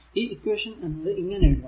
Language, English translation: Malayalam, So, this is equation is equal to 0